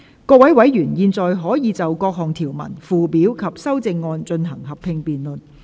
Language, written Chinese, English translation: Cantonese, 各位委員現在可以就各項條文、附表及修正案，進行合併辯論。, Members may now proceed to a joint debate on the clauses schedules and amendments